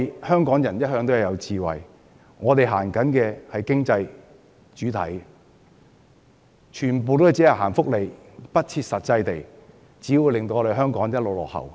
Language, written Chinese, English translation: Cantonese, 香港人一向擁有智慧，並以經濟為先，如果只顧推行福利，不切實際，只會令香港一直落後。, As always Hong Kong people are smart and have given top priority to the economy . It is thus impractical to set our eyes only on the provision of welfare benefits as this will make Hong Kong continue to lag behind